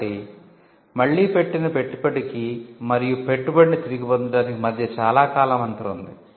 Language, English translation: Telugu, So, again there is a long time gap between the investment made and recouping the investment